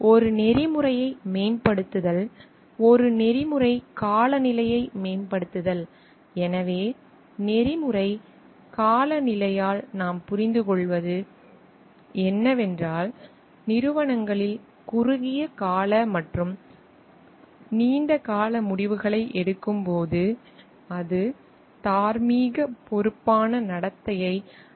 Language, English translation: Tamil, Promoting an ethical promoting an ethical climate; so, what we understand by ethical climate is that, it is an working environment which complements morally responsible conduct; while taking both short term and long term decisions in the organizations